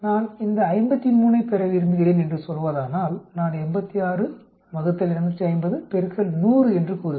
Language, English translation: Tamil, Say, if I want to get this 53, I will say 86 divided by 250 into 100